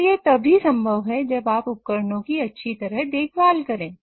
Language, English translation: Hindi, And that can only happen if you take good care of your equipment